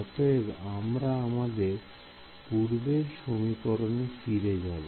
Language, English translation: Bengali, So, let us go back to our equation